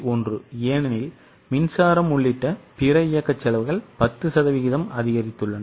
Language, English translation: Tamil, 1 because other operating costs which include power have also increased by 10%